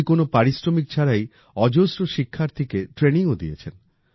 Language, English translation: Bengali, He has also imparted training to hundreds of students without charging any fees